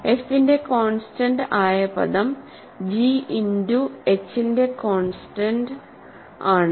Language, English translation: Malayalam, So, constant term of f is constant term of g times constant term of h